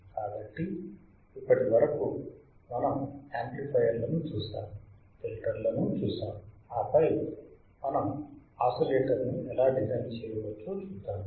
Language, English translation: Telugu, So, until now what we have seen we have seen amplifiers; we have seen the filters; and then we must see how we can design oscillator